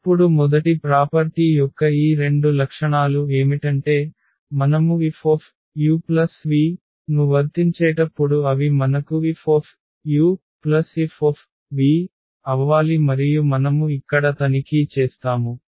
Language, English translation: Telugu, And now these 2 properties of the first property is this that when we apply F on this u plus v they should give us F u plus F v and that we will check here